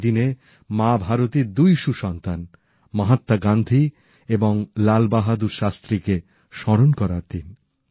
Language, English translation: Bengali, This day, we remember two great sons of Ma Bharati Mahatma Gandhi and Lal Bahadur Shastri